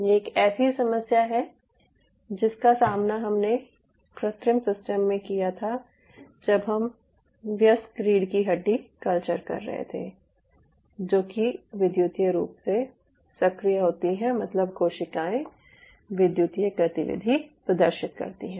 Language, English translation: Hindi, what we were developing, where we wanted to have adult spinal cord culture, which is electrically active, means the cells exhibit electrical activity